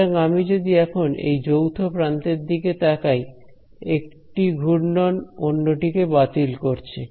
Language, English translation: Bengali, So, if I look at this common edge over here, these swirls are in some sense cancelling off